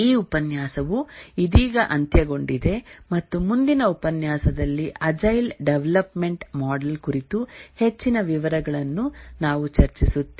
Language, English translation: Kannada, For this lecture, we will just come to the end and in the next lecture we will discuss more details about the agile development model